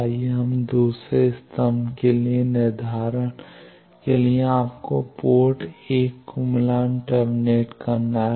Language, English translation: Hindi, Let us see the second for second column determination you need to match terminate port 1 port 1 match terminated